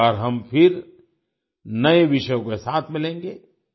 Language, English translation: Hindi, Next time we will meet again with new topics